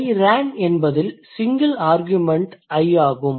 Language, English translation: Tamil, So, in this case when it is I ran, the single argument here is I